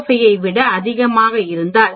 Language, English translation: Tamil, 05 or it is greater than 0